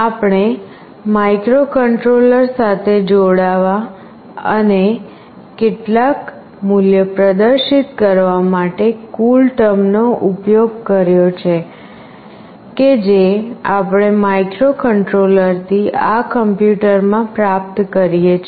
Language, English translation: Gujarati, So, we have used CoolTerm to connect with the microcontroller and to display some value that we are receiving from the microcontroller into this PC